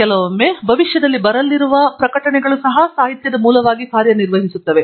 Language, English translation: Kannada, Sometimes even publications that are going to come up in future can also act as a source of literature